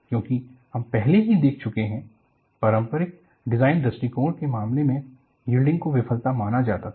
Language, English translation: Hindi, Because we have already seen, in the case of conventional design approach, yielding was considered as a failure